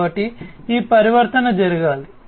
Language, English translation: Telugu, So, this transformation will have to take place